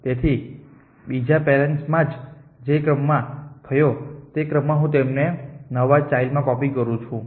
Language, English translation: Gujarati, So, in the order in which occurred in the other parent I copy them in to this new child